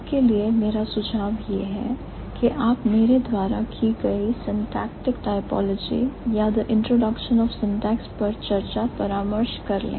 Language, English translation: Hindi, My suggestion for you would be to check my discussion on syntactic typology or the introduction of syntax, so it will be easier for you probably